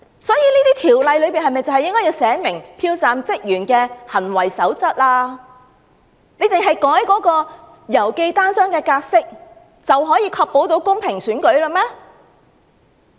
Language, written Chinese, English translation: Cantonese, 所以，《條例草案》應訂明票站職員的行為守則，難道只是修改郵寄信件的尺碼規定，便可以確保公平選舉嗎？, Therefore the Bill should prescribe a code of conduct for staff at polling stations . Can revising the requirement on letter size ensure a fair election?